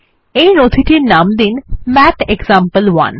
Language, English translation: Bengali, Name the document as MathExample1